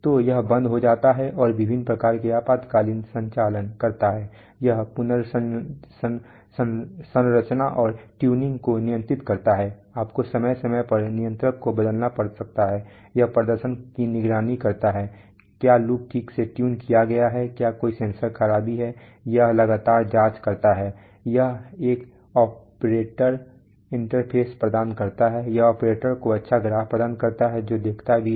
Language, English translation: Hindi, So it does start up shut down and various kinds of emergency operations, it does control reconfiguration and tuning you may have to change the controller from time to time, it does performance monitoring, is the loop properly tuned, is there a sensor malfunction, it continuously checks, it provides an operator interface, it provides with nice graphs to the operator who also sees